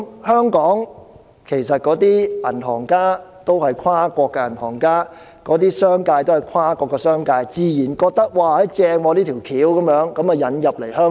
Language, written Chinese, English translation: Cantonese, 香港的銀行家也是跨國銀行家，商界也是跨國商界，他們自然認為這方法好，所以便引入香港。, Since bankers in Hong Kong came from multinational banks and the business sector was comprised of multinational corporations they would naturally consider the approach desirable and introduced it into Hong Kong